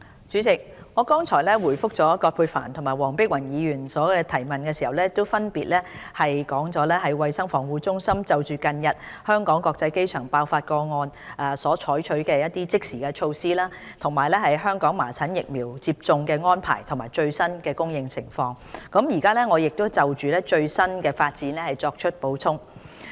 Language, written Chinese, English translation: Cantonese, 主席，我剛才回覆葛珮帆議員及黃碧雲議員的質詢時，分別闡述了衞生防護中心就近日香港國際機場爆發麻疹個案所採取的措施，以及香港麻疹疫苗接種的安排及最新的供應情況，現就最新發展作出補充。, President in my previous replies to the questions raised by Dr Elizabeth QUAT and Dr Helena WONG I have illustrated the immediate measures taken by the Centre for Health Protection CHP to cope with the cases of measles infection at the Hong Kong International Airport and the arrangements of measles vaccination and the latest supply of measles vaccines in Hong Kong . I will now supplement the latest developments